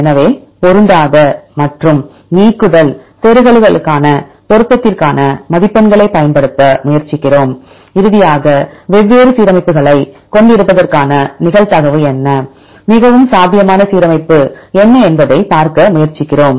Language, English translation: Tamil, So, then we try to apply scores for matching for mismatching and deletion insertions and we finally, try to see what are the probability of having different alignments and what is the most probable alignment